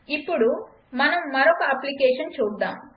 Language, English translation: Telugu, Now lets look at another application